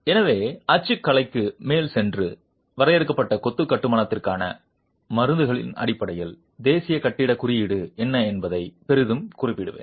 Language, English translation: Tamil, So, let me go over the typology and refer greatly to what the National Building Code has in terms of prescriptions for confined masonry construction